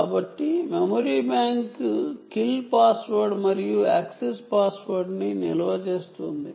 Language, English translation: Telugu, so the memory bank stores the kill password and access password